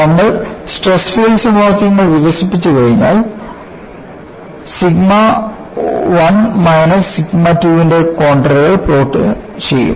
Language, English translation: Malayalam, As soon as, we develop the stress field equations, we would plot contours of sigma 1 minus sigma 2